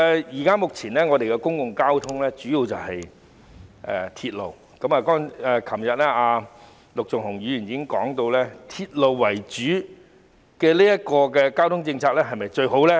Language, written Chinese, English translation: Cantonese, 現時本港的公共交通工具主要是鐵路，陸頌雄議員昨天已經提出"鐵路為主"的公共運輸政策是否最好的疑問。, At present the essential means of public transport in Hong Kong are railways . Mr LUK Chung - hung raised the issue yesterday querying whether the public transport policy of according priority to railway is the best